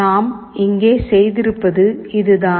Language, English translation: Tamil, What we have done here is this